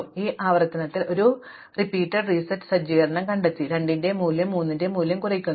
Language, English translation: Malayalam, So, in this iteration I find as I said, that the value of 2 reduces the value of three becomes something finite